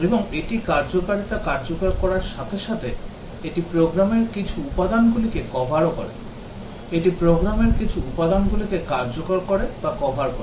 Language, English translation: Bengali, And as it executes the functionality, it covers some program elements; it executes or covers some program elements